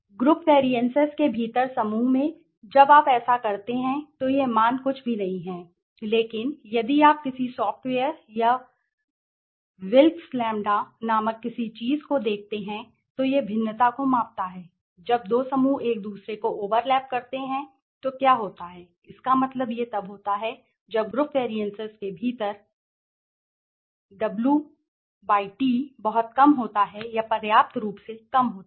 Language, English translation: Hindi, As I said inverse what is that basically it measures basically within group variances the within group within group variances divided by the total variance right so when you do this, this value is nothing but if you see in a software or anything called Wilk s Lambda so this variances right it measures the variances so when two groups when the overlap each other so what it means is when this within group variances, within group variances W/T is very less or is sufficiently less